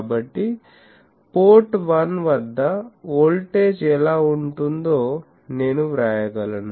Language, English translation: Telugu, So, I can write that, that, what will be the voltage at port 1